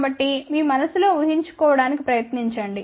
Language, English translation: Telugu, So, try to imagine that in your mind